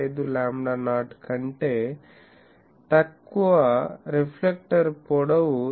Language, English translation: Telugu, 5 lambda not, reflector length is greater than 0